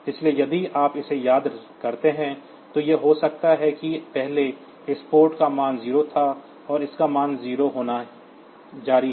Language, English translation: Hindi, So, if you miss this, then it may be that previously this port was having a value 0, and it continues to have the value 0